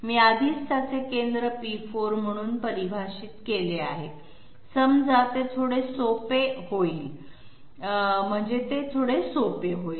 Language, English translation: Marathi, Say I have already defined its centre to be P4 okay that that would be a bit easy